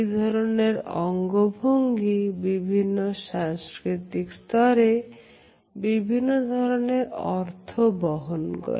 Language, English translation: Bengali, Even though, this gesture has different interpretations in different cultures